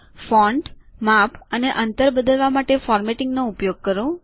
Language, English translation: Gujarati, Use formatting to change the fonts, sizes and the spacing